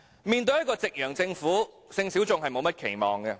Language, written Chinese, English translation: Cantonese, 面對一個夕陽政府，性小眾並沒有甚麼期望。, Faced with a sunset government sexual minorities have little expectations